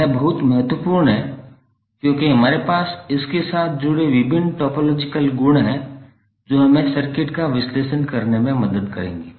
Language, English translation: Hindi, So this is very important because we have various topological properties associated with it which will help us to analyze the circuit